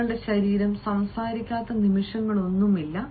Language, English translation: Malayalam, there is no moment when your body does not speak